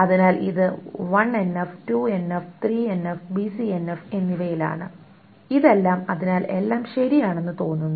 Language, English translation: Malayalam, So it is in 1NF, 2NF, 3NF, it is in 1NF, 2NF, 3NF and BCNF, all of these things